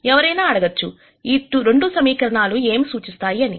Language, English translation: Telugu, So, one might ask what does 2 equations represent